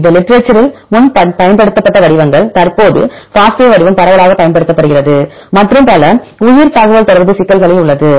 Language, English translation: Tamil, It is the formats used earlier in literature, currently the FASTA format is widely used and in many bioinformatics problems